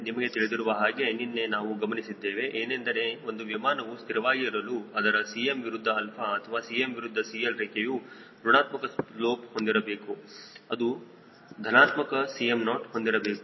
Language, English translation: Kannada, as you know, we saw yesterday that for an aircraft to be statically stable now cm versus alpha or cm versus cl curve should have negative slope and it should have a positive cm naught